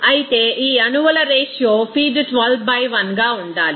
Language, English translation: Telugu, Whereas the ratio of these molecules in the feed to be 12 by 1